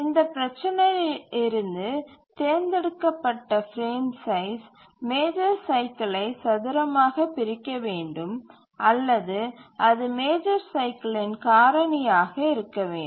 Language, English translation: Tamil, From this consideration we require that the frame size that is chosen should squarely divide the major cycle or it must be a factor of the major cycle